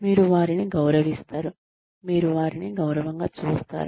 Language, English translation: Telugu, You respect them, you treat them with respect